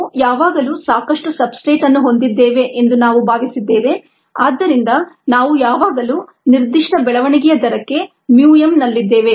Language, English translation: Kannada, we kind of assumed that we are always had enough substrate so that, ah, we were always at mu m for the specific growth rate